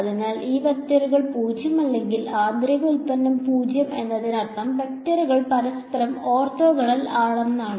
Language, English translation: Malayalam, So, inner product 0 when the two vectors are non zero themselves means are the vectors are orthogonal to each other